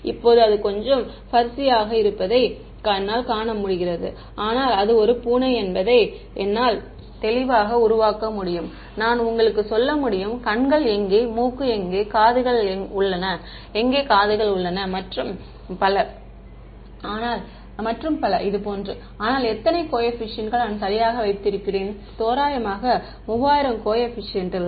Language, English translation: Tamil, Now, I can see that it is a little furzy, but I can clearly make out it is a cat, I can tell you where the eyes are where the nose is where the ears are and so on, but how many coefficients that I have kept right, roughly 3000 coefficients